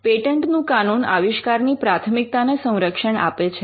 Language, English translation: Gujarati, Patent law wants to safeguard priority of inventions